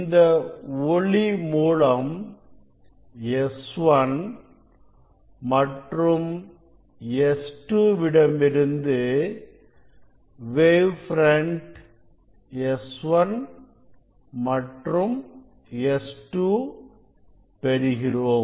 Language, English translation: Tamil, we will from this source S 1 and S 2 you will get wave front S 1 and wave front from S 2